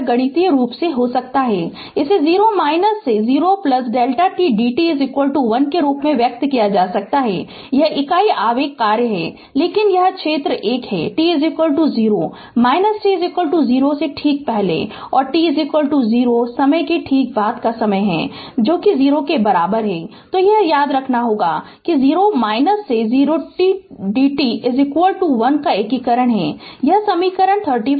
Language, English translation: Hindi, It can be mathematically it can it can be expressed as 0 minus to 0 plus delta t d t is equal to 1 right, this is unit impulse function but this area is 1, t is equal to 0 minus time just before t is equal to 0 and t is equal to 0 plus time just after t is equals to 0, right